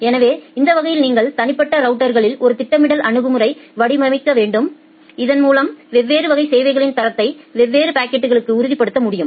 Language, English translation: Tamil, So, that way you need to design a scheduling strategy at individual routers so that different level of quality of service can be ensured of different classes of packets